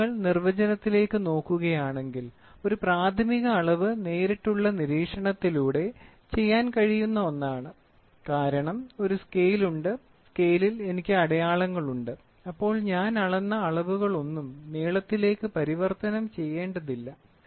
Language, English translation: Malayalam, So, if you go back to the definition, a primary measurement is one that can be made by direct observation because there is a scale, in the scale I have graduations without involving any conversions then I do not convert anything of the measured quantity into length, right